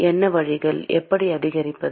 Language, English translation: Tamil, What are the ways by which how to increase